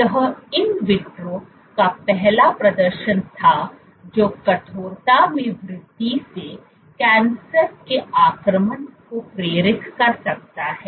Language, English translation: Hindi, So, this was the first demonstration in vitro that increase in stiffness can induce cancer invasion